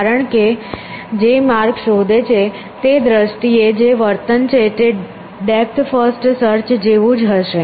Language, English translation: Gujarati, Because, the behavior in terms of the path that it finds would be same as what depth first search have done